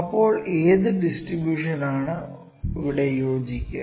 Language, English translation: Malayalam, Then what distribution would fit here